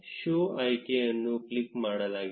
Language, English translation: Kannada, The show option is clicked